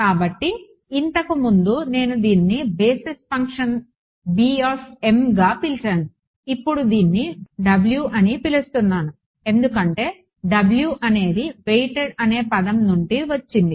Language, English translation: Telugu, So, earlier I had call this as the basis function b m I am just calling it W because W is coming from the word weighted ok